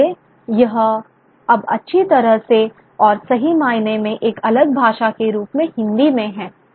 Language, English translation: Hindi, So a certain kind of, so it's now well and truly into Hindi as a separate language